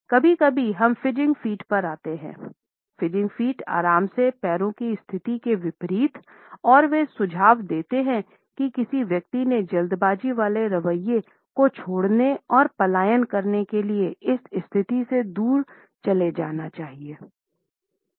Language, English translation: Hindi, Sometimes we also come across what is known as fidgeting feet; fidgeting feet are opposite of the relaxed feet position and they suggest the hurried attitude of a person to move away from this position, to leave the situation and flee